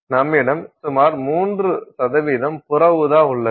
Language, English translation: Tamil, You have about 3% which is ultraviolet